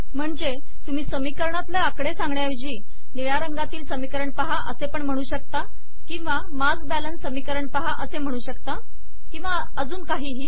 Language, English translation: Marathi, So you may not want to refer to an equation by numbers but you can say that consider the equation in blue or you may want to say that look at the mass balance equation and so on